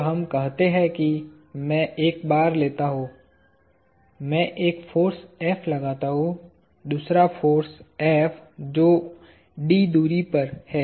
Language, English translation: Hindi, So, let us say I take a bar; I exert a force F and another force F separated a distance d apart